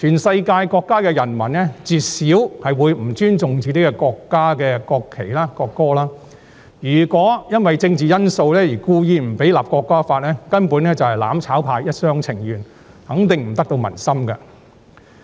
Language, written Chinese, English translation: Cantonese, 世界各國的人民絕少會不尊重自己國家的國旗和國歌，如果因為政治因素而故意不讓《條例草案》訂立，根本是"攬炒派"一廂情願，肯定不得民心。, Therefore these amendments are unnecessary . People around the world seldom disrespect the national flag and national anthem of their own countries . Deliberate obstruction to the enactment of the Bill for political reasons is only a wishful thinking of the mutual destruction camp which will definitely not receive public support